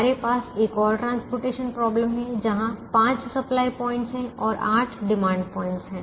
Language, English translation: Hindi, we could have another transportation problem where there could be five supply points and eight demand points, unequal number of supply points and demand points